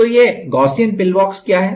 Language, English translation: Hindi, So, what is a Gaussian pillbox